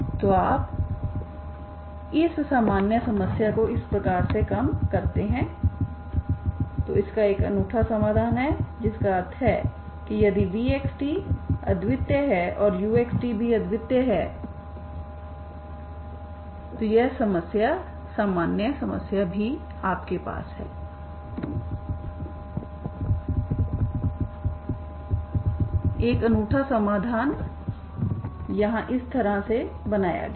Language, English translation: Hindi, So you reduce this general problem into this type and this has a unique solution that implies finally if v is unique u is also unique, okay so this is how this problem general problem is also you have a unique solution the solution is constructed here in this fashion, okay